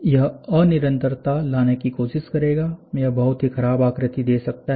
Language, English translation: Hindi, This will try to bring in discontinuity, it might give you a very poor look